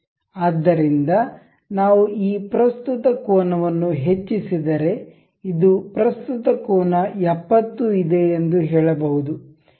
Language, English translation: Kannada, So, if we increase this current angle this is present angle